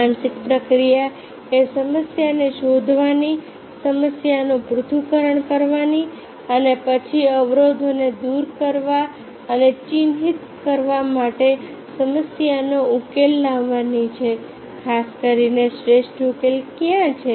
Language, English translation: Gujarati, the mental process: find out the problem, analyze the problem, then solve the problem, to overcome the obstacles and to mark what is the best solution